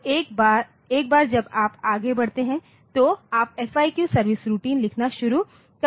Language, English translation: Hindi, So, from once you onwards so, you can start writing the FIQ service routine